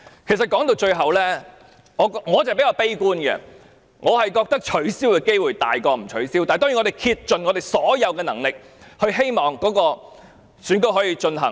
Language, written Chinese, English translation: Cantonese, 其實，說到底，我是比較悲觀的，我認為今次選舉取消的機會比較大，但當然我們會竭盡所能，希望選舉可以進行。, Actually I for one am rather pessimistic after all . I think the election this time around stands a higher chance of cancellation . But of course we will do our utmost in the hope that we can proceed with the election